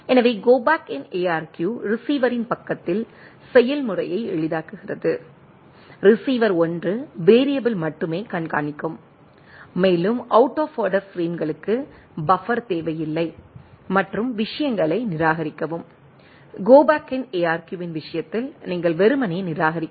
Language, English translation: Tamil, So, Go Back N ARQ simplifies process of the receiver side right, receiver only keeps track of only 1 variable right and there is no need of buffer out of order frames and simply discard the things, if anything out of the frame coming, in case of a Go Back N ARQ, then you just simply discard the thing